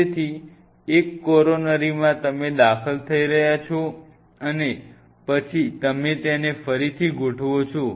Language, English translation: Gujarati, So, from one coronary you are entering and then you rearrange it